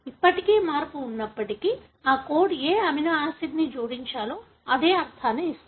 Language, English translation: Telugu, So, even if there is a change still, that code gives the same meaning, as to which amino acid should be added